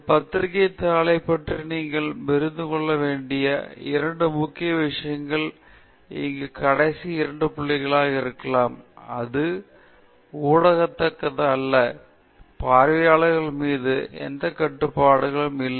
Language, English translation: Tamil, May be the two other major things that you need to understand about a journal paper are these last two points here that it is not interactive and you have no control on audience